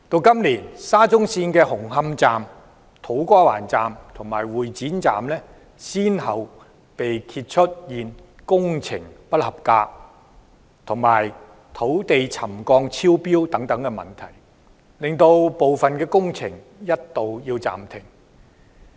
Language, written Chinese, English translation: Cantonese, 今年沙中線的紅磡站、土瓜灣站和會展站，先後被揭發出現工程不合規格及土地沉降超標等問題，令部分工程須一度暫停。, In this year problems such as non - compliant works and ground settlement exceeding the trigger levels at the Hung Hom Station the To Kwa Wan Station and the Exhibition Centre Station were exposed one after another resulting in the partial suspension of some works